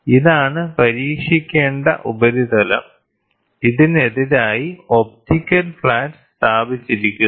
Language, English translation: Malayalam, So, surface to be tested is this one, and as against this, there is an optical flat which is placed